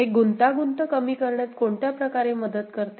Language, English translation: Marathi, Does it help in any way to reduce the complexity